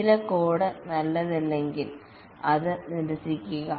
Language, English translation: Malayalam, If some code is not good, discard it, rewrite it